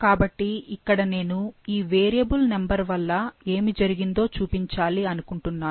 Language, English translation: Telugu, So, here I want to show that what happens, what happens as a result of this variable number